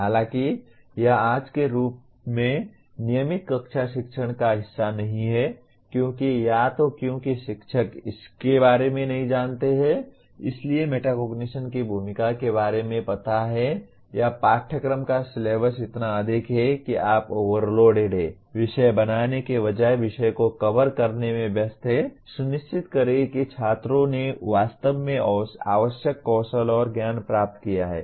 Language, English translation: Hindi, While this is not part of regular classroom teaching as of today because either because teacher is not aware of it, aware of the role of metacognition or the syllabus of the course is so overloaded you are/ one is busy with covering the subject rather than making sure that the students have really picked up the required skills and knowledge